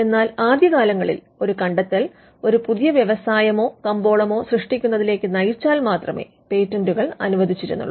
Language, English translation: Malayalam, It may not be true now, but initially patents were granted if that invention would lead to the creation of a new industry or a market